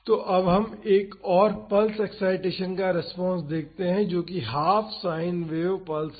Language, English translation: Hindi, So, now let us see the response to another pulse excitation that is half sine pulse